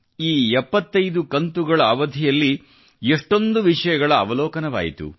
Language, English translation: Kannada, During these 75 episodes, one went through a multitude of subjects